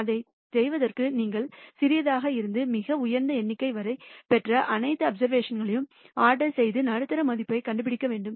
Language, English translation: Tamil, For doing this you have to order all the observations that you have got from smallest to highest and then find out the middle value